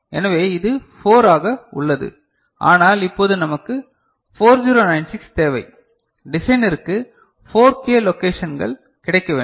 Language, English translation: Tamil, So, it remains 4, but now we want 4096, 4 K number of memory you know locations available for the designer